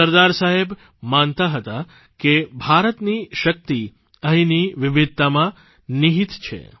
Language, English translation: Gujarati, SardarSaheb believed that the power of India lay in the diversity of the land